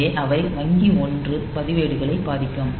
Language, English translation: Tamil, So, they will be affecting bank one registers